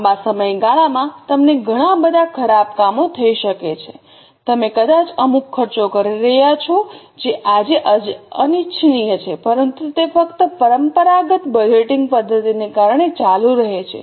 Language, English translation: Gujarati, Over long period of time, you might be incurring certain expenses which are unwanted today, but they just continue because of the traditional budgeting method